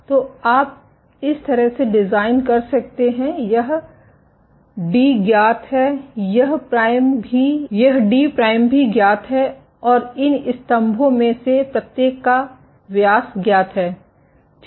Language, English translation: Hindi, So, you can design in such a way this d is known this d prime is also known, and the diameter of each of these pillars phi is known ok